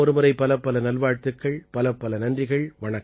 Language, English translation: Tamil, With this, once again many best wishes to all of you